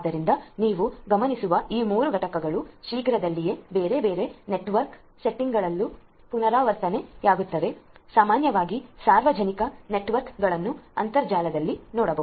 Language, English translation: Kannada, So, these 3 components as you will notice shortly will recur in different other different other network settings as well, look at the internet the public networks in general